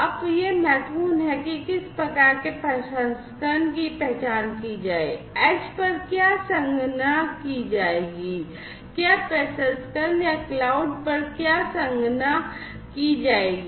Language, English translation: Hindi, Now, what is important is to identify which type of processing, what computation will be done at the edge, which processing, what computation will be done at the cloud